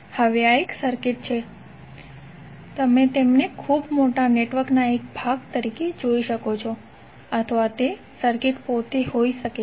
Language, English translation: Gujarati, Now these circuits are, you can see them either part of very large network or they can be the circuit themselves